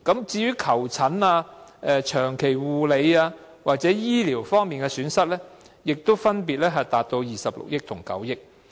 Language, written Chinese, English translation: Cantonese, 至於求診、長期護理或醫療方面的損失，也分別達到26億元和9億元。, The losses arising from consultations and long - term care or health care were 2.6 billion and 900 million respectively